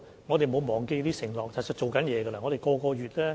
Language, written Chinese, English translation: Cantonese, 我們沒有忘記這些承諾，其實正在處理中。, We have not forgotten these undertakings and are dealing with them